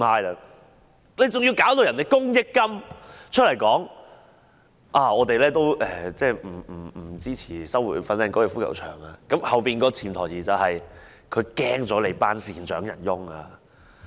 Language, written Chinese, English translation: Cantonese, 還要公益金出來說不支持收回粉嶺高爾夫球場，背後的潛台詞是怕了那些善長仁翁。, Even the Community Chest has to come forward and state that it did not support the resumption of the Fanling Golf Course but the hidden underlying message is that it dare not offend the generous benefactors